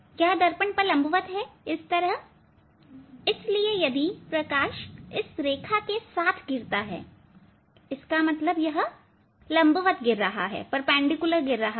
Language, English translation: Hindi, They are perpendicular on the mirrors, so if light falls along this line; that means, it is falling perpendicularly